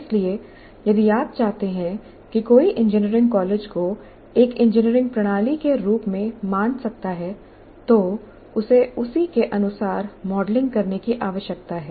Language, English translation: Hindi, So if you want, one can consider engineering college as an engineering system and model it accordingly